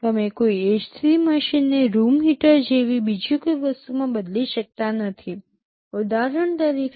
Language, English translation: Gujarati, You cannot change an ac machine to something else like a room heater for example